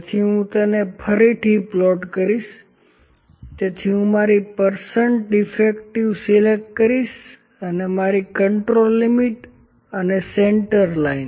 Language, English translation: Gujarati, So, I will just plot it again, so I will pick my percent defective and my control limits and central line